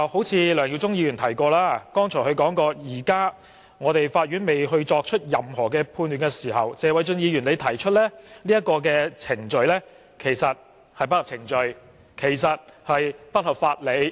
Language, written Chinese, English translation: Cantonese, 正如梁耀忠議員剛才說，現時法院未作出任何判決，謝偉俊議員就已經提出這項議案其實不合程序亦不合法理。, Just as Mr LEUNG Yiu - chung has said the Court has not yet handed down any judgment so it is not in line with procedure or jurisprudence for Mr Paul TSE to move such a motion